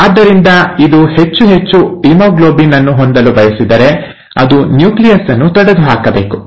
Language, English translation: Kannada, So if it wants to accommodate more and more amount of haemoglobin, it has to get rid of the nucleus